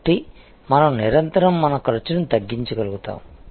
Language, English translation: Telugu, So, that we are constantly able to reduce our cost